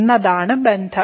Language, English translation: Malayalam, So, what is the relation